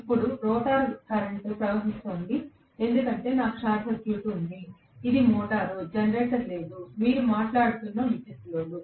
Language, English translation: Telugu, Now rotor current is flowing because I have short circuited, this is the motor, no generator, electrical load you are talking about